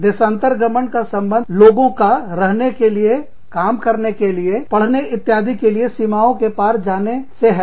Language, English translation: Hindi, Migration refers to, move people, moving across the border, to stay, to live, to work, to study, etcetera